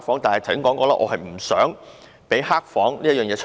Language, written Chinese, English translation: Cantonese, 但是，我剛才說過，我不想有"黑房"的情況出現。, Nonetheless as I said earlier I do not want to have dark rooms